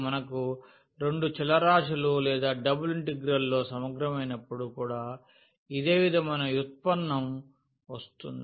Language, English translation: Telugu, So, a similar kind of derivative we will also get when we have a integral in two variables or the double integral